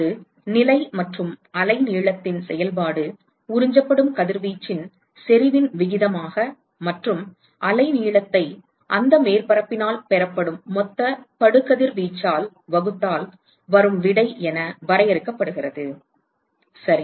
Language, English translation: Tamil, That is defined as the ratio of the intensity of radiation that is absorbed which is a function of position and the wavelength divided by the total incident radiation that is received by that surface ok